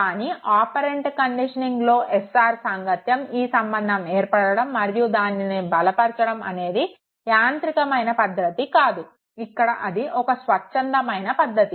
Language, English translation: Telugu, Whereas in the case of operant conditioning you realize that the SR association, the formation as well as a strengthening is non mechanistic and it is basically a voluntary process